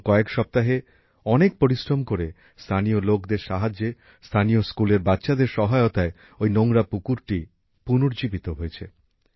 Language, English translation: Bengali, With a lot of hard work, with the help of local people, with the help of local school children, that dirty pond has been transformed in the last few weeks